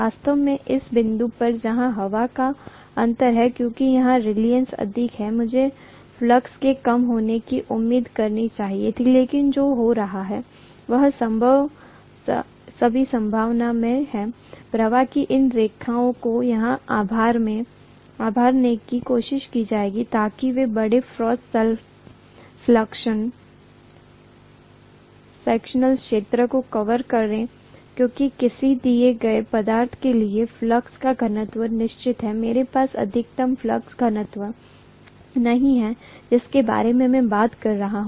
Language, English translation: Hindi, Actually speaking, at this point where the air gap is, because the reluctance is higher here, I should have expected the flux to diminish, but what is going to happen is, in all probability, these lines of flux will try to bulge here so that they cover larger cross sectional area because the flux density for a given material is kind of fixed, I can’t have, that is the maximum flux density I am talking about